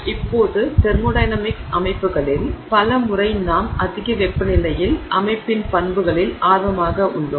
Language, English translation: Tamil, Now, many times in thermodynamic systems we are interested in properties of the system at high temperatures, okay